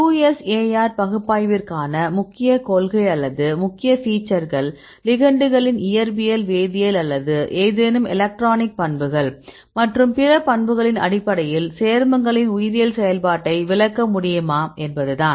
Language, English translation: Tamil, So, the main principle or main aspects for the QSAR analysis is whether we can explain the biological activity of the compounds in terms of other properties of the ligands physical, chemical or any electronic properties and so on